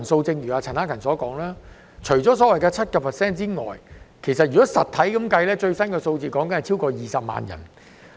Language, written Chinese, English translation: Cantonese, 正如陳克勤議員所說，除失業率約 7% 外，實質的失業人數超過20萬人。, As indicated by Mr CHAN Hak - kan apart from the unemployment rate standing at around 7 % the actual number of unemployed persons has exceeded 200 000